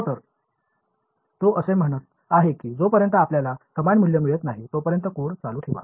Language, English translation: Marathi, So, he is in he is saying keep running the code until you get similar values